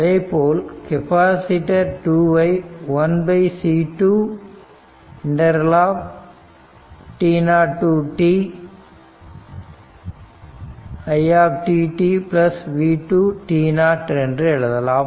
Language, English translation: Tamil, Similarly, for capacitor 2 it is 1 upon C 2 t 0 to t it dt plus v 2 t 0